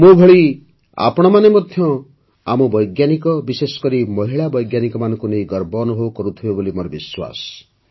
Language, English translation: Odia, I am sure that, like me, you too feel proud of our scientists and especially women scientists